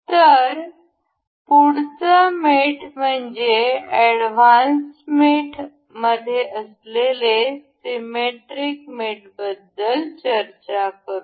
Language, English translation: Marathi, So, the next mate, we will talk about is in advanced mate is symmetric mate